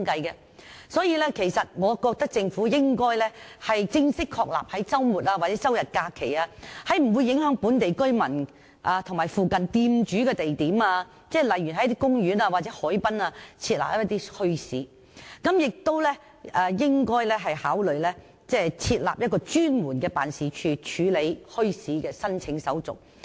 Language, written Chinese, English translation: Cantonese, 因此，我認為政府應正式確立在周末、周日或假期，在不會影響本地居民和附近店主的地點，例如公園或海濱等設立墟市，並應考慮設立一個專門辦事處，處理墟市的申請手續。, Thus we think the Government should formalize the holding of bazaars on Saturdays Sundays or during holidays at sites which will not affect local residents and business operators of shops nearby such as in parks or at the waterfronts . In addition the Government should consider establishing a designated office to process the applications for holding bazaars